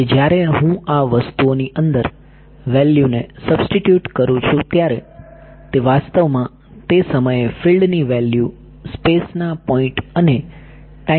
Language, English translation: Gujarati, So, when I substitute the value inside these things it should be actually the value of the field at those times in points in space and points in time correct